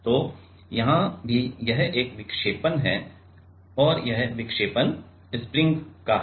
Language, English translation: Hindi, So, here also this is a deflection and this deflection is of the spring